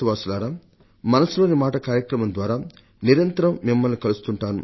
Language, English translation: Telugu, My dear country men, through Mann Ki Baat, I connect with you regularly